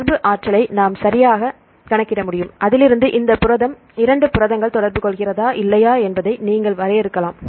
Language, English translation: Tamil, We can calculate the interaction energy right and from that you can define whether these protein two proteins interact or not